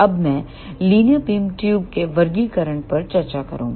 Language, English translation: Hindi, Now, I will discuss classification of linear beam tubes